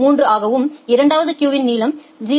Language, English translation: Tamil, 3 the second queue has a length of 0